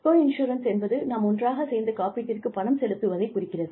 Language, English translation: Tamil, Coinsurance means that, we pay for the insurance, together